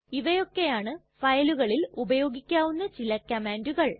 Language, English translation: Malayalam, These were some of the commands that help us to work with files